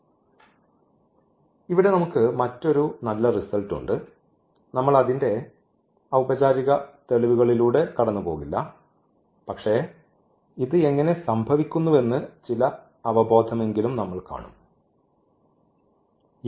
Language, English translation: Malayalam, So, there is another nice result here we will not go through the formal proof, but we will see at least some intuition how this is happening